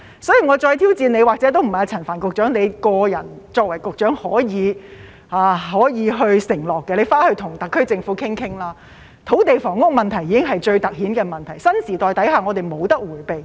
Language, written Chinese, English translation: Cantonese, 所以，我再挑戰陳帆局長——或者也不是他個人作為局長可以承諾的——回去跟特區政府討論一下，土地房屋問題已經是最凸顯的問題，在新時代下，我們無法迴避。, Therefore I again challenge Secretary Frank CHAN to―perhaps he cannot give the promise as Secretary himself―go and discuss with the SAR Government; as land and housing issues are the most prominent problems which we cannot evade in the new era